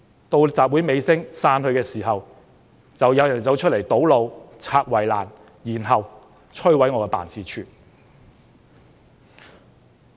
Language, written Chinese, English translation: Cantonese, 到了集會尾聲，人群開始散去的時候，有人便走出來堵路、拆圍欄，然後，摧毀我的辦事處。, At the end of the rally when the crowd started to disperse someone came out to block the road demolished the fence and then destroyed my office